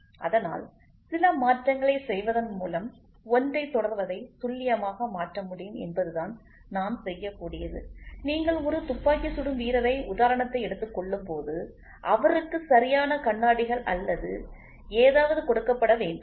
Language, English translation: Tamil, So, then what we can do is we can shift the precision to accurate by doing some modification, may be when you take a shooter example he has to be given proper spectacles or something